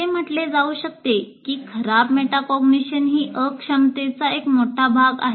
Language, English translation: Marathi, So you can say poor metacognition is a big part of incompetence